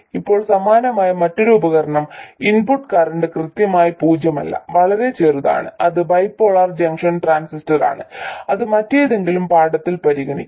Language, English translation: Malayalam, Now another device which is kind of similar, the input current is not exactly zero but very small, that is a bipolar junction transistor that will be treated in some other lesson